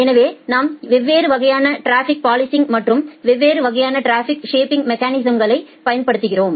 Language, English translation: Tamil, So, we apply different kind of traffic policing and different type of traffic shaping mechanism